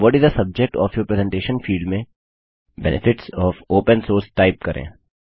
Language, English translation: Hindi, In the What is the subject of your presentation field, type Benefits of Open Source